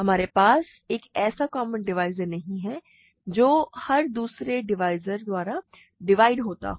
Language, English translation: Hindi, We do not have a common divisor which is divisible by every other divisor, ok